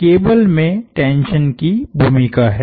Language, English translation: Hindi, So, this is the role of the tension in the cable